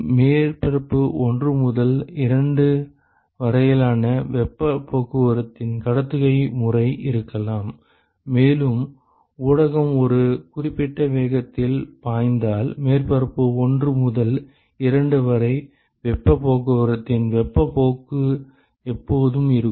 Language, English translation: Tamil, There could be conduction mode of heat transport from surface 1 to 2, and if the media is flowing with a certain velocity there could always be a convective mode of heat transport from surface 1 to 2